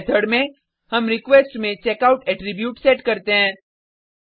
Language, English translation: Hindi, In this method, we set the checkout attribute into the request